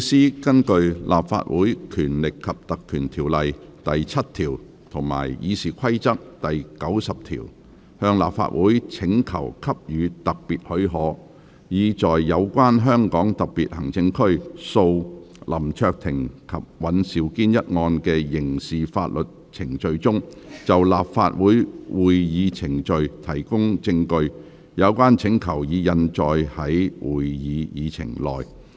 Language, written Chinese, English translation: Cantonese, 律政司根據《立法會條例》第7條及《議事規則》第90條，向立法會請求給予特別許可，以在有關香港特別行政區訴林卓廷及尹兆堅一案的刑事法律程序中，就立法會會議程序提供證據。有關請求已印載於會議議程內。, The Department of Justice has made a request under section 7 of the Legislative Council Ordinance and Rule 90 of the Rules of Procedure for special leave of the Council to give evidence of Council proceedings in the criminal proceedings of HKSAR v LAM Cheuk - ting WAN Siu - kin Andrew as printed on the Agenda